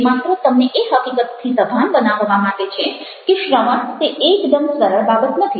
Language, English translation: Gujarati, this is just to make you aware of the fact that listening is not a very simple thing